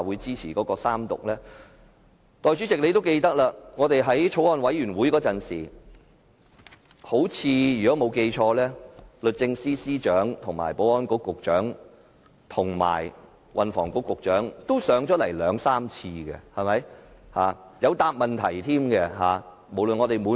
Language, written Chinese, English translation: Cantonese, 相信代理主席也記得，法案委員會進行審議時，律政司司長、保安局局長及運輸及房屋局局長均曾出席三數次會議，並在席上回答問題。, I believe the Deputy President might also recall that during deliberation by the Bills Committee the Secretary for Justice Secretary for Security and Secretary for Transport and Housing have on several occasions attended meetings of the Bills Committee and answered questions raised by members